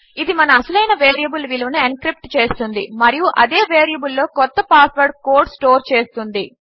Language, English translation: Telugu, This will encrypt our original variable value and store a new password code in the same variable